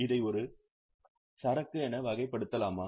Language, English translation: Tamil, Can we classify it as an inventory